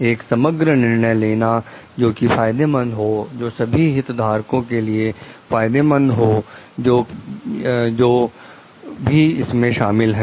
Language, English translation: Hindi, Take a holistic decision, which is like benefit, which is in benefit for all the stakeholders, who are involved